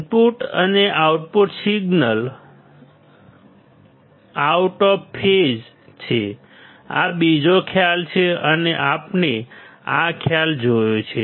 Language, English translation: Gujarati, Input and output signals are out of phase; this is another concept and we have seen this concept